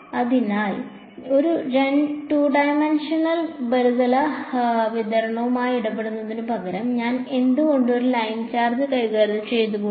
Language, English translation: Malayalam, So, instead of dealing with a 2 dimensional surface distribution why not I deal with just a line charge